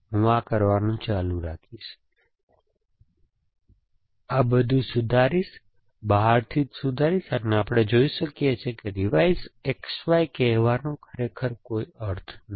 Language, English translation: Gujarati, I will keep doing this, revise all these, revise at the very outside, we can see calling revise X Z does not really make a sense